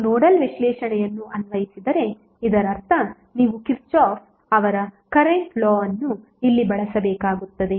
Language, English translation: Kannada, So if you apply nodal analysis that means that you have to use Kirchhoff’s current law here